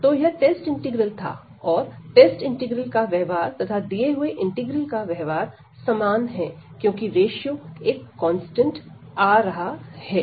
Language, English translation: Hindi, And behavior of this test integral, and the given integral is the same, because this ratio is coming to be constant